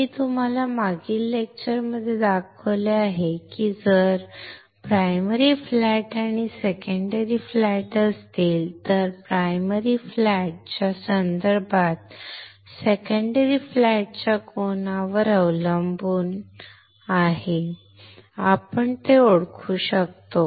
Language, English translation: Marathi, I have shown you in the last lecture if primary flat and secondary flat are there, then depending on the angle of the secondary flat with respect to prime primary flat we can identify them